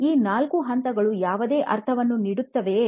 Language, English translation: Kannada, Will these four stages, does it make any sense